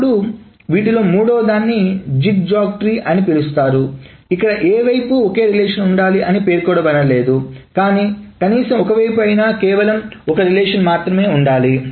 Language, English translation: Telugu, Then the third one in this space is called a zigzag tree where it is not specified which side is a single relation but at least one of the sides must be a single relation